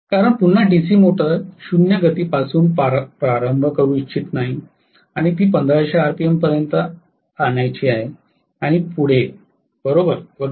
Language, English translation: Marathi, Because we do not want to again start the DC motor from 0 speed bring it up to 1500 rpm and so on so forth